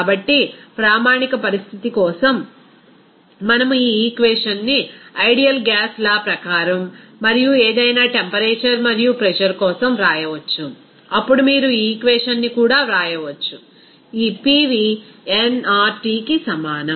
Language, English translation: Telugu, So, for the standard condition, also, we can write this equation as per ideal gas law and for any temperature and pressure, then you can write this equation also, this PV is equal to nRT